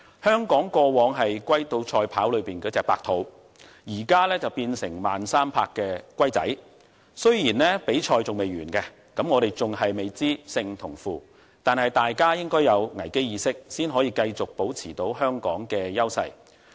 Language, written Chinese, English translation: Cantonese, 香港過往是"龜兔賽跑"裏的白兔，現在卻變成慢3拍的小龜，雖然比賽未完結，我們未知勝負，但大家應該要有危機意識才能夠繼續保持香港的優勢。, In the past Hong Kong was the hare in race between the hare and the tortoise . Now it has become the tortoise moving at a snails pace . Although the race is not yet over and we do not know the result we should have a sense of crisis in order to maintain the competitive edge of Hong Kong